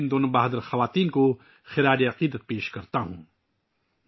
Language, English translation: Urdu, I offer my tributes to these two brave women